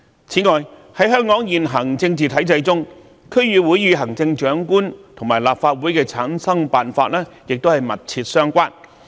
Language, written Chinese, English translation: Cantonese, 此外，在香港現行政治體制中，區議會與行政長官和立法會的產生辦法亦密切相關。, Besides under the existing political system of Hong Kong DC is also closely related to the methods for selecting the Chief Executive and for forming the Legislative Council